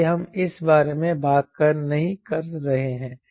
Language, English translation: Hindi, so we are talking about that